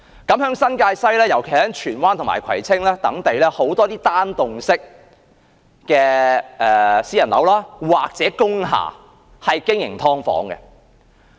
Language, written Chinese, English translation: Cantonese, 在新界西，尤其是荃灣及葵青等地區，許多單幢式私人樓或工廈也是經營"劏房"的。, In New Territories East particularly in Tsuen Wan and Kwai Tsing districts many flats in single private residential buildings or industrial buildings were used for operating subdivided units